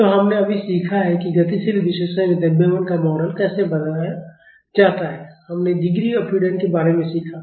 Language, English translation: Hindi, So, we just learnt how to model the mass in dynamic analysis, we learned about degrees of freedom